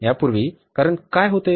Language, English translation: Marathi, Earlier what was the reason